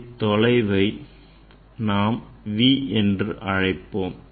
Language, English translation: Tamil, This is distance we tell in terms v